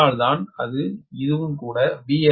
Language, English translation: Tamil, thats why we are making it as v x l